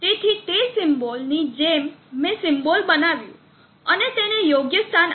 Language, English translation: Gujarati, So like that the symbol I made the symbol and placed it the proper place